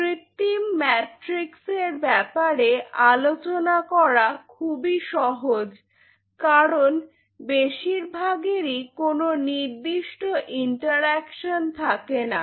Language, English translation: Bengali, So, talking about the synthetic matrix it is easy to talk about the synthetic matrix because most of them do not have any specific interaction such